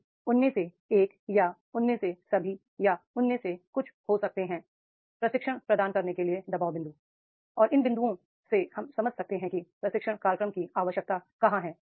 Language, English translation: Hindi, So there can be the one of them or all of them or some of them will be the pressure points to provide the training and we can from these points we can understand where is the need of the training program